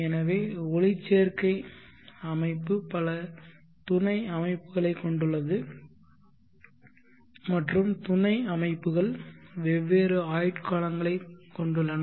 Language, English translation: Tamil, So photolytic system contains many sub systems and the sub systems have different life spans